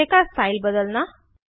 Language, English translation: Hindi, Change the style of the display